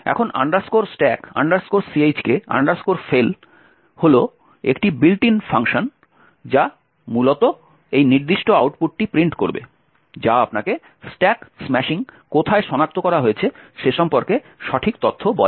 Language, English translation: Bengali, Now stack check fail is a built in function which essentially would print out this particular output which tells you the exact information about where the stack smashing was detected and so on